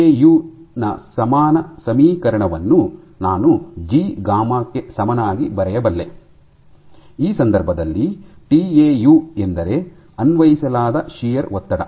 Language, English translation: Kannada, So, I can write a similar equation of tau is equal to G gamma, where in this case tau is the shear stress that we applied